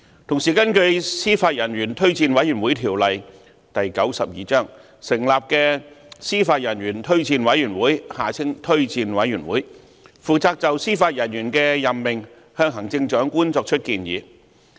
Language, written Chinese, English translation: Cantonese, 同時，根據《司法人員推薦委員會條例》成立的司法人員推薦委員會，負責就司法人員的任命向行政長官作出建議。, Meanwhile the Judicial Officers Recommendation Commission JORC which is set up under the Judicial Officers Recommendation Commission Ordinance Cap . 92 makes recommendations to the Chief Executive on judicial appointments